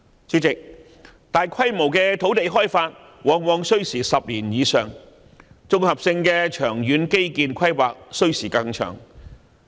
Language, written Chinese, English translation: Cantonese, 主席，大規模的土地開發往往需時10年以上，綜合性的長遠基建規劃需時更長。, President large - scale land development very often spans over 10 years and the formulation of comprehensive planning for long - term infrastructural development takes even a longer time